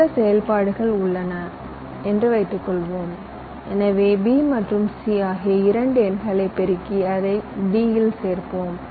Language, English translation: Tamil, suppose i have a, some operation to do, say so, i am multiplying two numbers, b and c, and i added to d